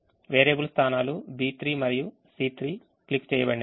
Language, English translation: Telugu, the variable positions are b three and c three, which are clicked